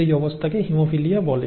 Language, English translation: Bengali, And that condition is actually called haemophilia